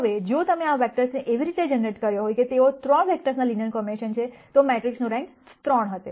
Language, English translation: Gujarati, Now, if you had generated these vectors in such a way that they are a linear combination of 3 vectors, then the rank of the matrix would have been 3